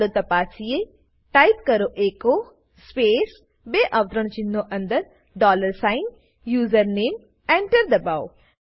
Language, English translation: Gujarati, Let me clear the prompt Now, type echo space within double quotes dollar sign HOSTNAME and Now press Enter